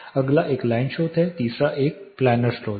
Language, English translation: Hindi, Next is a line source, third is a planar source